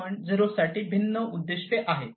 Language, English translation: Marathi, 0 is very important